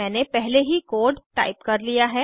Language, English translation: Hindi, I have already typed the code